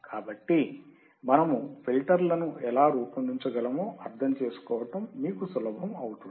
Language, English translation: Telugu, So, it will be easier for you to understand how we can design the filters